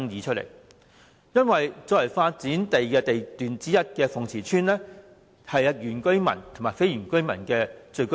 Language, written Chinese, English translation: Cantonese, 作為發展地段之一的鳳池村，是原居民及非原居民的聚居地。, Fung Chi Tsuen one of the sites for development is inhabited by indigenous and non - indigenous residents